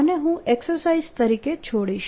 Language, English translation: Gujarati, this i'll leave as an exercise